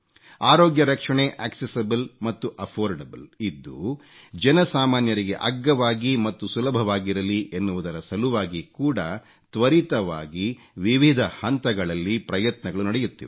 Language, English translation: Kannada, Efforts are being extensively undertaken to make health care accessible and affordable, make it easily accessible and affordable for the common man